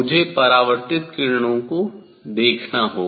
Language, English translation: Hindi, I have to look for reflected rays